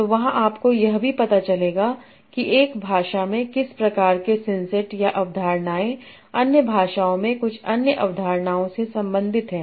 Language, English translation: Hindi, So there you will also find out what sort of syn sets or concepts in one language are related to some other concepts in other language